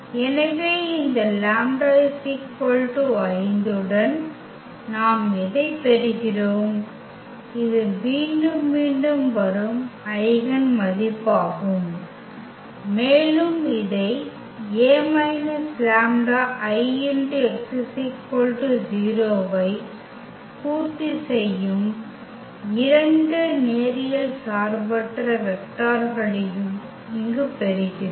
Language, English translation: Tamil, So, what we are getting corresponding to this lambda is equal to 5 which was the repeated eigenvalue and we are also getting here the 2 linearly independent vectors which satisfy this A minus lambda I x is equal to 0